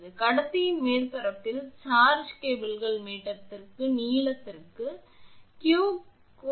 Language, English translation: Tamil, Let the charge on the surface of the conductor be q coulomb per meter length of cable